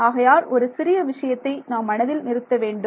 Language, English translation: Tamil, So, there is just some small thing to keep in mind